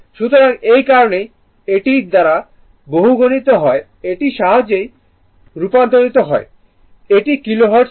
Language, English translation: Bengali, So, that is why this, this is multiplied by it is a converted to Hertz it was Kilo Hertz